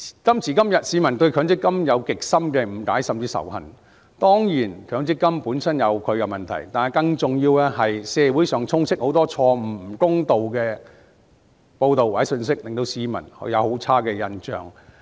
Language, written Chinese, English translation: Cantonese, 今時今日，市民對強積金有極深的誤解甚至仇恨，當然強積金本身有其問題，但更重要的是社會上充斥很多錯誤、不公道的報道或信息，令市民對強積金印象很差。, Today the public has a deep misunderstanding or even hatred against MPF . Of course MPF has its own problems . But more importantly the community is full of mistaken and unfair reports or information which gives the public a very poor impression of MPF